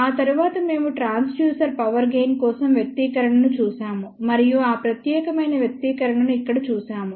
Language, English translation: Telugu, After that we looked at the expression for transducer power gain and we had seen this particular expression over here